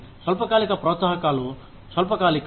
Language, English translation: Telugu, The short term incentives are short lived